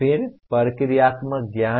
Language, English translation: Hindi, Then procedural knowledge